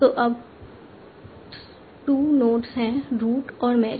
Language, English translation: Hindi, So there are two nodes now